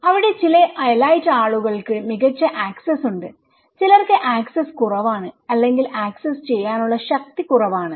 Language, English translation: Malayalam, There some elite people have better access, the other people those who don’t have they have little access or little power to accessize